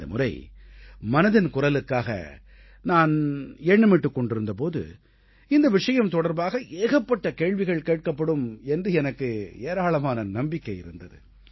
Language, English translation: Tamil, This time when I was thinking about 'Mann ki Baat', I was sure that a lot of questions would crop up about this subject and that's what exactly happened